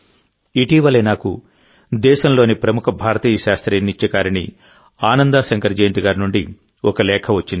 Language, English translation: Telugu, Recently I received a letter from the country's famous Indian classical dancer Ananda Shankar Jayant